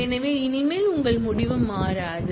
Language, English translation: Tamil, So, your result henceforth will not change